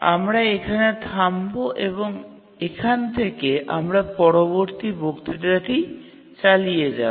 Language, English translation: Bengali, We'll stop here and from this point we'll continue the next lecture